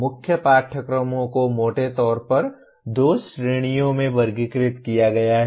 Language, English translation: Hindi, Core courses are classified into broadly two categories